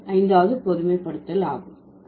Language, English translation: Tamil, So, that is a fifth generalization